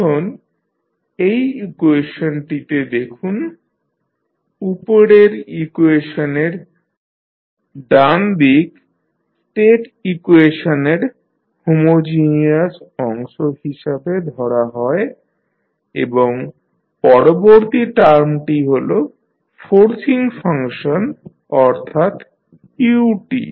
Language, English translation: Bengali, Now, if you see this particular equation the right hand side of the above equation is known as homogeneous part of the state equation and next term is forcing function that is ut